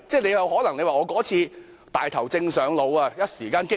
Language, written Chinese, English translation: Cantonese, 你可能會說：我那次"大頭症上腦"，一時間過於激昂。, You may explain that in a fit of enthusiasm you were getting too worked up then